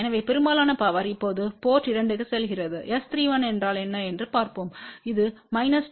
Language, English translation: Tamil, So, most of the power then goes to the port 2 now let us see what is S 3 1 it is about minus 29